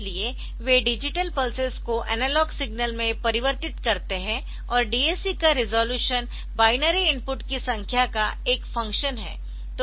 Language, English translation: Hindi, So, they convert digital pulses to analog signals and resolution of a DAC is a function of number of binary inputs